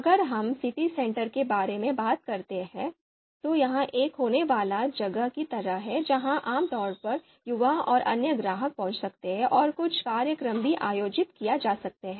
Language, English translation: Hindi, If we talk about the city center, this is more like a happening place where you know you know typically youth and other you know the other other customers might be arriving and the some events might be organized there